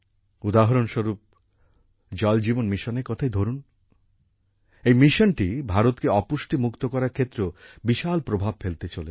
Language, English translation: Bengali, For example, take the Jal Jeevan Mission…this mission is also going to have a huge impact in making India malnutrition free